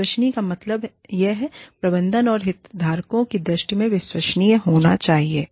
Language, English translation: Hindi, Credible means, it should be believable, in the eyes of the management, and of the stakeholders